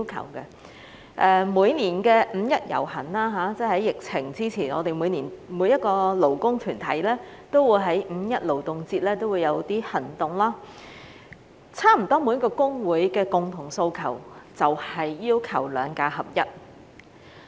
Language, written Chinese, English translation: Cantonese, 在疫情前，每年五一勞動節舉行遊行時，我們每一個勞工團體也會有一些行動，差不多每個公會的共同訴求都是"兩假合一"。, Before the epidemic all labour organizations would take some actions during the Labour Day rally held every year and aligning SHs and GHs has been the common demand of nearly all labour unions